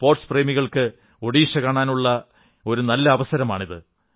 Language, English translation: Malayalam, This is a chance for the sports lovers to see Odisha